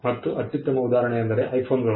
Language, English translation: Kannada, The best example is the iPhone